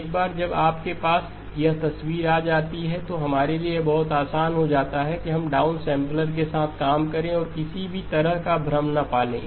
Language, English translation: Hindi, Once you have this picture then it is very easy for us to work with the down sampler and not have any confusion at all